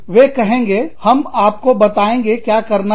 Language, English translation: Hindi, They will say, we will tell you, what to do